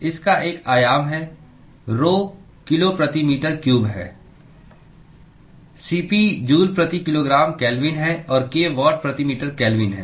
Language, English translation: Hindi, This has a dimension, rho is kg per meter cube, Cp is joule per kilogram kelvin and k is watt per meter kelvin